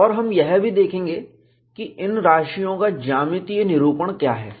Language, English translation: Hindi, And we will also see, what is a geometric representation of these quantities